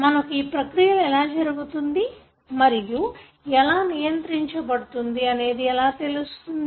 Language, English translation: Telugu, How do we know that these processes do take place and how they are regulated